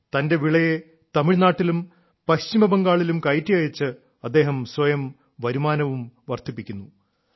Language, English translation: Malayalam, Now by sending his produce to Tamil Nadu and West Bengal he is raising his income also